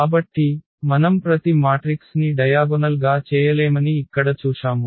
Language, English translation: Telugu, So, what we have seen here that every matrix we cannot diagonalize